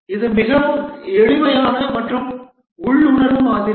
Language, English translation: Tamil, This is the simplest and most intuitive model